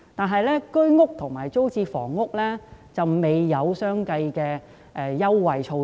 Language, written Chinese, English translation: Cantonese, 可是，居屋和租賃房屋方面卻未有相應的優惠措施。, However no corresponding concessionary arrangement has been made for Home Ownership Scheme HOS flats and public rental housing units